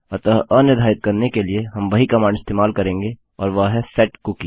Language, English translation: Hindi, So to unset we use the same command and thats setcookie